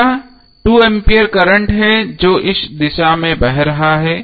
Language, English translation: Hindi, Next is 2A current which is flowing in this direction